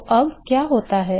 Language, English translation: Hindi, So, what happens is